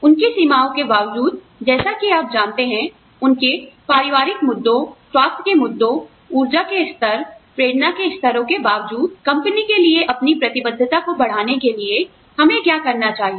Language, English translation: Hindi, Despite their limitations, as you know, despite their family issues, health issues, energy levels, motivation levels, what should we do, in in order to, enhance their commitment, to the company